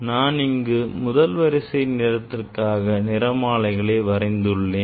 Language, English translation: Tamil, this here I have drawn this is the first order of red line red spectral lines